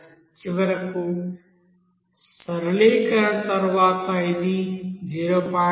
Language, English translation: Telugu, So finally after simplification it will come as 0